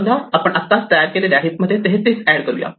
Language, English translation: Marathi, Supposing, we add 33 now to the heap that we just created